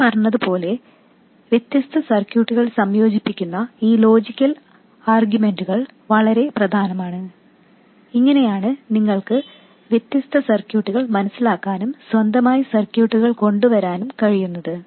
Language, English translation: Malayalam, As I said, these logical arguments combining different circuits are extremely important and that's how you can understand different circuits and also come up with circuits on your own